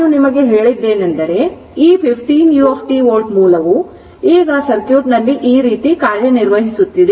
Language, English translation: Kannada, That I told you, then this 15 u t volt source is now operative in the circuit it is like this